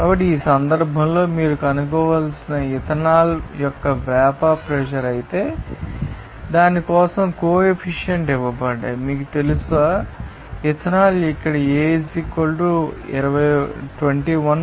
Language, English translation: Telugu, So, in this case the vapor pressure of ethanol you have to find out whereas, the coefficients are given for that, you know, ethanol are here A = 21